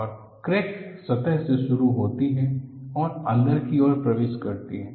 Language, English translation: Hindi, And crack starts from the surface and penetrated